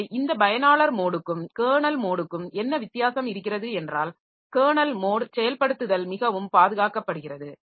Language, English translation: Tamil, So, what is the difference between this user mode and kernel mode is that so kernel mode execution is much more protected